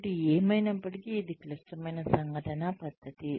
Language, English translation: Telugu, So anyway, that is the critical incident method